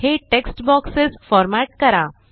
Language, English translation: Marathi, Format these text boxes